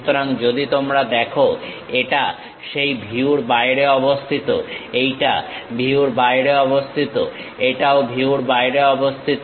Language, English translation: Bengali, So, if you are looking, it is outside of that view; this one also outside of the view, this is also outside of the view